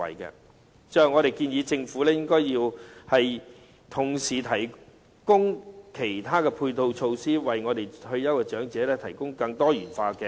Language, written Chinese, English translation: Cantonese, 最後，我們建議政府應該同時提供其他配套措施，為我們的退休長者提供更多元化的安排。, Lastly we suggest that the Government simultaneously provide other complementary measures and make more diversified arrangements for our old retirees